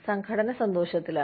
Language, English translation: Malayalam, The organization is happy